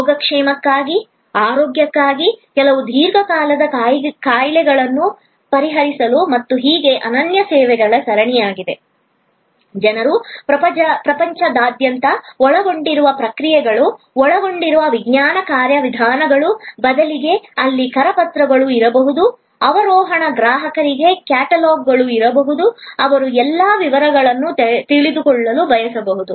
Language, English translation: Kannada, A series of unique services for well being, for health, for addressing certain chronic diseases and so on, people come from all over the world, the processes involved, the science involved, the procedures, instead ofů There may be brochures, there may be catalogs for the descending customer, who may want to know all the details